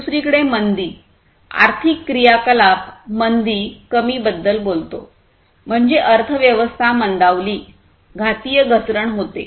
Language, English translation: Marathi, Recession on the other hand, talks about the decline in the economic activity recession; that means, slowing down, slowdown of the economy